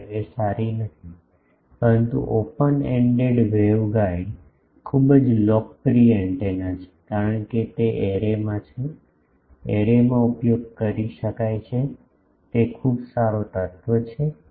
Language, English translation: Gujarati, 5 is not good, but open ended waveguide is a very popular antenna, because in arrays it can be used in array, it is a very good element